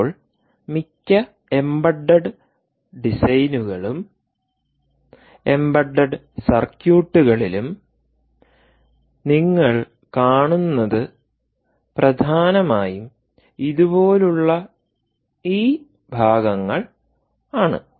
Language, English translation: Malayalam, now, most embedded designs, most embedded circuits that you come across will essentially looking at these parts, things like this: ok, you take